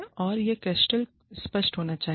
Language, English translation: Hindi, And, that should be crystal clear